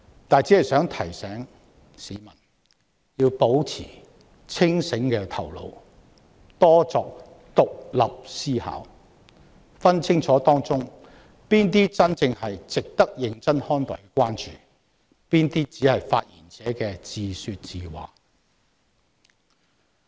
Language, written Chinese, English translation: Cantonese, 不過，我想提醒市民，他們應要保持清醒的頭腦，多作獨立思考，分辨清楚當中哪些是真正值得認真看待的關注，哪些只是發言者自說自話。, Nevertheless I wish to remind people that they ought to keep a clear mind and engage in more independent thinking to distinguish concerns that truly worth their serious consideration from those that are just some monologues uttered by the speakers